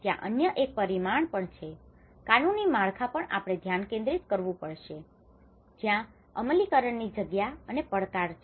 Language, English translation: Gujarati, There is also one of the other dimensions which we focused on the legal framework where there has been an implementation gaps and challenges